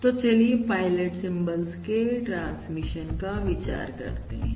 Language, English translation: Hindi, So let us consider the transmission of pilot symbols